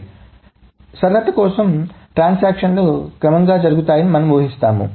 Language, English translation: Telugu, So, for simplicity, we just assume that the transactions run serial